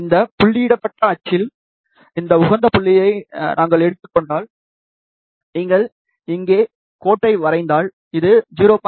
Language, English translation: Tamil, If we take this optimum point along this dotted axis, so if you draw the line here, you can see that this comes out to be 0